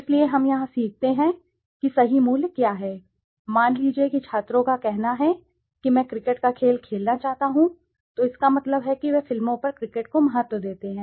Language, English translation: Hindi, So we learn here what is true value, suppose the students says I would like to play a game of cricket then it means that he values cricket over movies